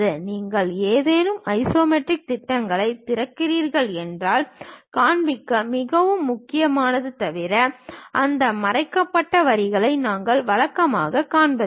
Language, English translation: Tamil, If you are opening any isometric projections; we usually do not show those hidden lines, unless it is very important to show